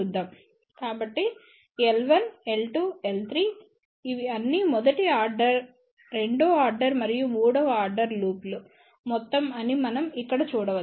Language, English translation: Telugu, So, we can see here L1 L2 L3 these are nothing but sum of all first order second order and third order loops